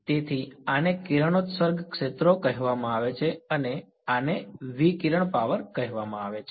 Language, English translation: Gujarati, So, these are called radiation fields and this is called radiated power